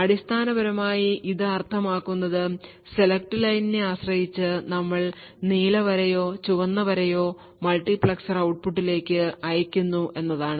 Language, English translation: Malayalam, So essentially what this means is that depending on the select line we are either sending the blue line or the red line in each of the multiplexers output